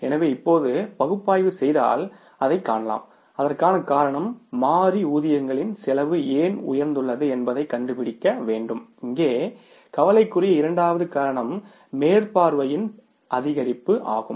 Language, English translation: Tamil, So, now you can see that if you analyze the reasons for that then we will have to find out why the variable payrolls cost has gone up and that second cause of concern here is the increase in the supervision cost